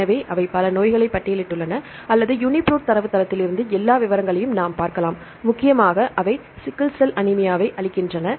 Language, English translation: Tamil, So, they listed up several diseases or we can look all the details right from the UniProt database mainly they give the sickle cell anemia